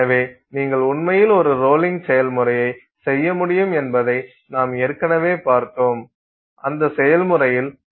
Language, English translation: Tamil, Okay, so we already saw that you can actually do a rolling process and in that process you can reduce the grain size of some sample